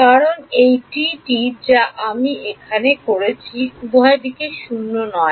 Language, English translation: Bengali, Because this T which I have over here is non zero over both right